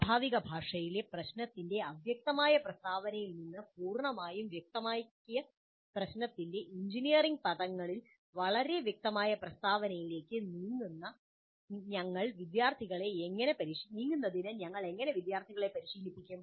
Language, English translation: Malayalam, So how do we train the students in moving from the Fudgee statement of the problem in a natural language to highly specific statement in engineering terms of a completely specified problem